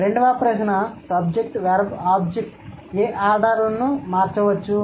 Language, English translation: Telugu, The second question, what other orders can SVO change into